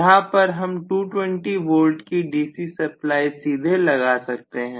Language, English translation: Hindi, So here I may apply to 220 volts DC directly, right